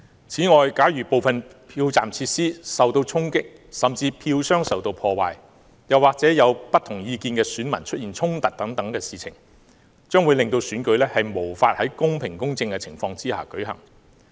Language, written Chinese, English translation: Cantonese, 此外，假如部分票站設施受衝擊，甚至票箱遭破壞，又或者有不同意見的選民出現衝突等，將會令選舉無法在公平、公正的情況下舉行。, Moreover any vandalism on polling station facilities damage to vote boxes and scuffle between voters of differing opinions will make it impossible for the election to be held in a fair and just manner